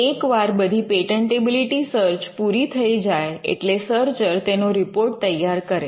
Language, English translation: Gujarati, The patentability search report; Once the patentability searches are done, the searcher would generate a report